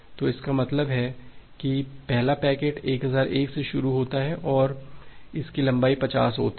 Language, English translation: Hindi, So that means, the first packets starts from 1001 and it has a length of 50